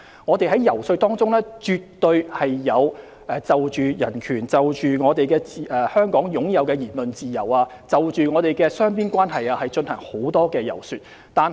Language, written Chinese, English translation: Cantonese, 我們在遊說過程中，絕對有就香港擁有的人權和言論自由及雙邊關係進行很多解說。, In the lobbying process we have absolutely given lots of explanation on the human rights and freedom of speech enjoyed by Hong Kong and the bilateral relations